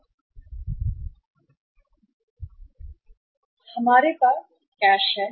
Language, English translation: Hindi, Here we have the cash